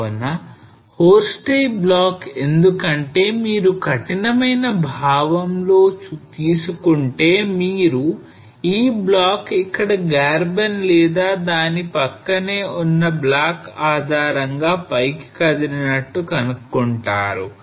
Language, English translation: Telugu, So horst a block because if you take in a strict sense then you will find that this block has moved up with respect to the Graben here or the block which is sitting adjacent to it